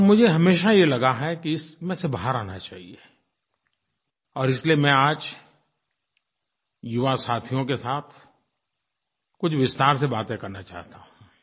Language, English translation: Hindi, And I have always felt that we should come out of this situation and, therefore, today I want to talk in some detail with my young friends